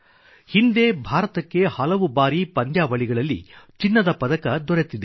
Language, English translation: Kannada, India has won gold medals in various tournaments and has been the World Champion once